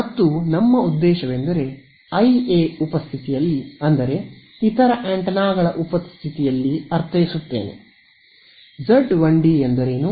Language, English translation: Kannada, And our objective is that in the presence of I A, I mean in the presence of the other antenna tell me what is Z 1 d tell me what is Z 2 d ok